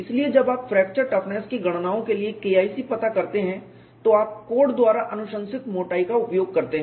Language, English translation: Hindi, So, when you do K 1c determination for fracture toughness calculations, you use the thickness recommended by the codes